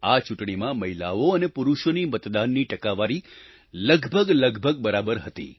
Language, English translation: Gujarati, This time the ratio of men & women who voted was almost the same